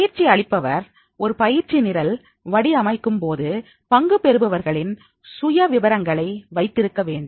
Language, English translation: Tamil, Trainer when designing a training program, he should have the profiles of the participants